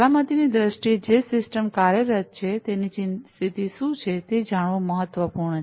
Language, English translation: Gujarati, So, in terms of safety, it is important to know for the system that is operating, what is the condition of it